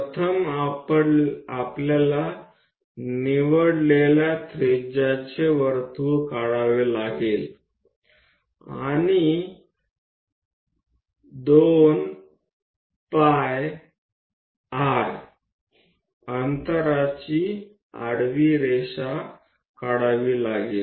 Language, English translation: Marathi, First, we have to draw a circle of chosen radius and know that 2 pi r distance draw a horizontal line